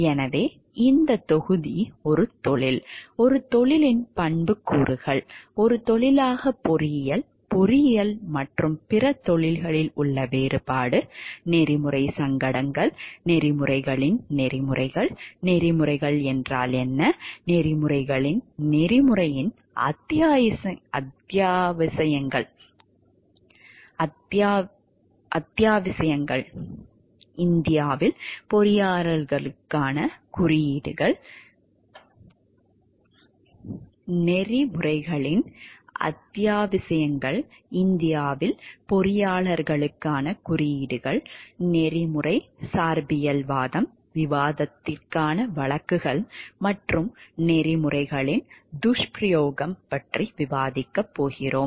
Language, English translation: Tamil, So, this module will define what is a profession, attributes of a profession engineering as a profession, difference in engineering and other professions, ethical dilemma, codes of ethics, what a code of ethics is not, essentials of a code of ethics, abuses of codes, ethical relativism, cases for discussion and code of ethics for engineers in India